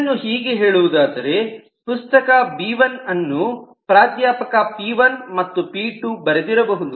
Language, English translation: Kannada, so it could be like this: so it says that the book b1 is written by p1 and p2